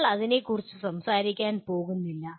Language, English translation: Malayalam, We are not going to talk about that